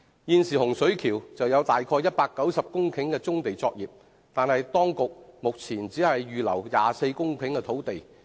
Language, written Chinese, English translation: Cantonese, 現時洪水橋有大約190公頃棕地作業，但當局目前只預留了24公頃土地。, Currently at Hung Shui Kiu there are some 190 hectares of brownfield operations but the authorities have now set aside only 24 hectares of land in this regard